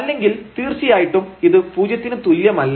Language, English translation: Malayalam, So, in any case this is not equal to this one